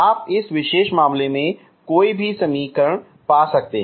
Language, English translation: Hindi, You can find any equation in this particular case